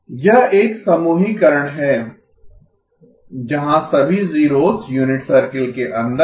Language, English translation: Hindi, That is one grouping where all the zeros are inside the unit circle